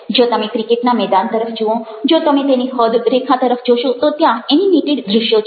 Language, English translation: Gujarati, if you looking at the cricket stadium, if you are looking at the boundaries, you have visuals there which are animated